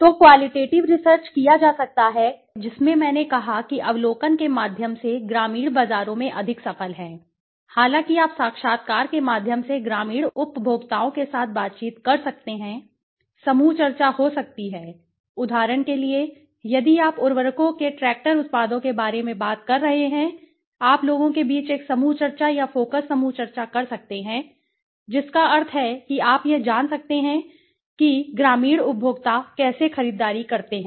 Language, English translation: Hindi, So, qualitative research can be done in the which is I said is more successful in the rural markets through observation, though interviews you can interact with the you know rural consumers through maybe group discussion, for example, if you are talking about fertilizers tractors kind of products so you can have a group discussion among the people right or a focus group discussion that means right and you can find out what how do they purchase right how do the rural consumers purchase